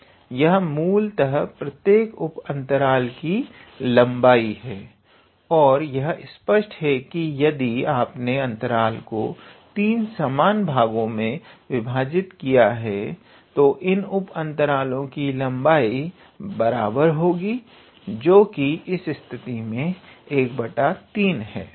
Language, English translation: Hindi, These are basically the length of every sub interval and it is pretty much clear that if you have divided and interval into three equal parts, then in that case the length of each one of these sub intervals would be 1 by 3